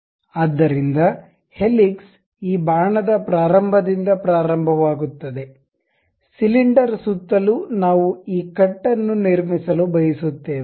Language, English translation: Kannada, So, helix begins at starting of this arrow, goes around the cylinder around which we want to construct this cut